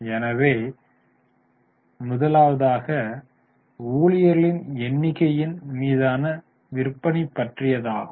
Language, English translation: Tamil, So, first one is sales upon number of employees